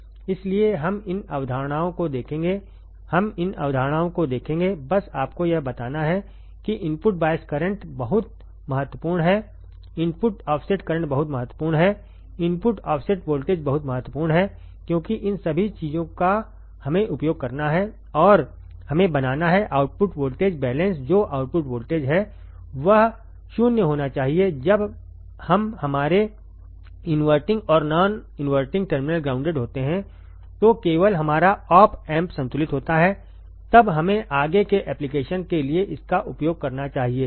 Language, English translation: Hindi, So, we will see these concepts we will see these concepts is just to tell you that input bias current is very important input offset current is very important input offset voltage is very important because these all things we have to use and we have to make the output voltage balance that is output voltage should be 0 when we our inverting and non inverting terminals are grounded then only our op amp is balanced then we should use it for further application, right